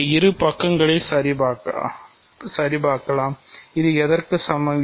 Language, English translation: Tamil, So, let us check both of these sides, this is an equality of what